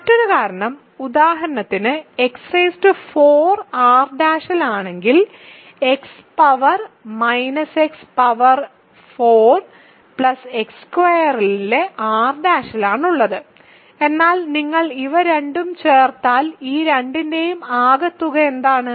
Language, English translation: Malayalam, Another reason is, if for example, X power 4 is in R prime, X power minus X power 4 plus X squared in R prime, but if you add these two, but what is the sum of these two